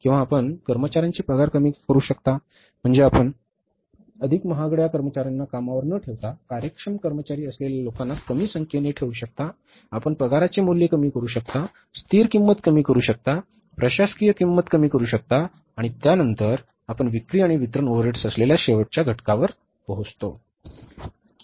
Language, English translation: Marathi, Or any other administrative overheads you can control or you can, say, reduce the salaries of employees means you can keep the less number of the people who are efficient employees rather than employing more expensive employees you can have, you can reduce the salaries cost, you can reduce the stationary cost, you can reduce the other administrative costs and after that you come to the last component that is the selling and distribution overheads